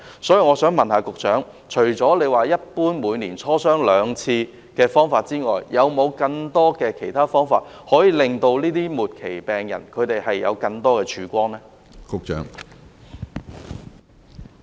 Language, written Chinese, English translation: Cantonese, 所以，我想問局長，除了每年就自費藥物磋商兩次的方法外，還有沒有更多方法，為這些末期癌症病人帶來更大的曙光呢？, Hence may I ask the Secretary apart from discussing twice a year the prioritization of self - financed items SFIs for inclusion into the safety net does the Hospital Authority HA have any other means to give these end - stage cancer patients greater hope?